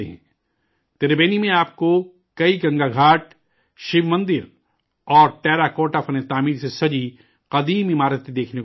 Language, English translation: Urdu, In Tribeni, you will find many Ganga Ghats, Shiva temples and ancient buildings decorated with terracotta architecture